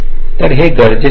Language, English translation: Marathi, so this is the requirement